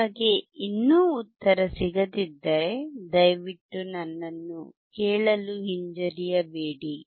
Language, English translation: Kannada, If you still cannot find the answer please feel free to ask me